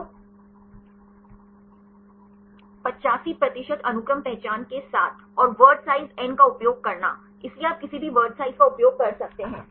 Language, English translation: Hindi, So, with 85 percent sequence identity and using the word size n; so, you can use any word size right here n equal to 5